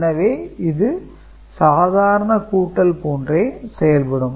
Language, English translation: Tamil, So, this is normal addition that will take place